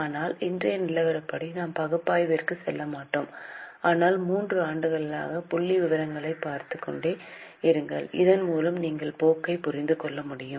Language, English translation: Tamil, But as of today we will not go into analysis but just keep on looking at figures for three years so that you can understand the trend